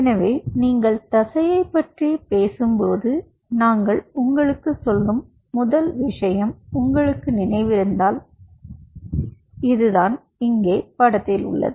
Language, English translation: Tamil, so when you talk about muscle, if you remember, the first thing, what we told you is: this is the picture right out here